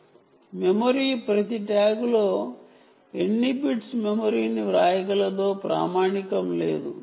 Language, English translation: Telugu, ok, when it comes to user memory, there is no standard in how many bits of memory are writable on each tag